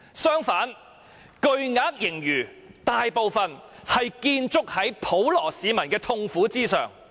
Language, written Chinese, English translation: Cantonese, 相反，巨額盈餘大部分是建築在普羅市民的痛苦上。, On the contrary a large part of the huge surplus is built on the sufferings of the general public